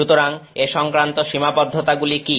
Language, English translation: Bengali, So, what are the challenges involved